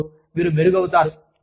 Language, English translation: Telugu, Improvement is happening